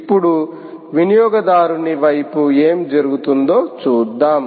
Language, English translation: Telugu, now lets shift and see what actually happens at the consumer side